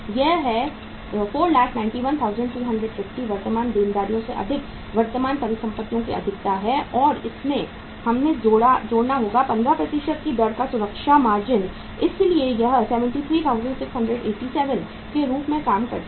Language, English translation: Hindi, This is 491,250 is the excess of the current assets over current liabilities and in this we have to add the safety margin, at the rate of 15% so that works out as 73,687